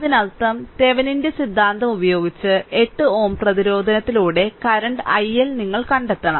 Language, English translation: Malayalam, that means, you have to find out the current i L say, through 8 ohm resistance; your 8 ohm resistance using Thevenin’s theorem